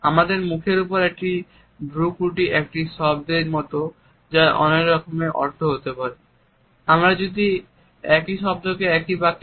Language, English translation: Bengali, A frown on our face is like a single word, which can have different meanings